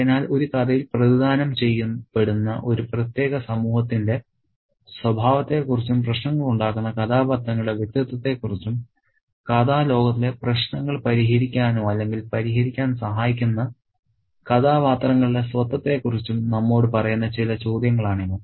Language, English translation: Malayalam, So, these are some other questions that tell us about the nature of a particular society represented in a story and the identity of the characters who cause trouble and the identity of the characters who help resolve or solve the troubles in the story world